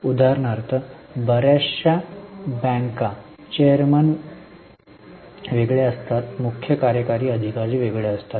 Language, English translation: Marathi, For example, most of the banks, chairman is different, CEO is different